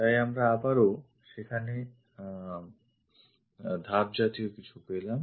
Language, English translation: Bengali, So, if we are again there is something like a step